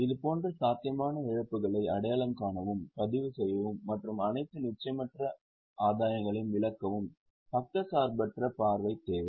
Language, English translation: Tamil, Unbiased outlook is required to identify and record such possible losses and to exclude all uncertain gain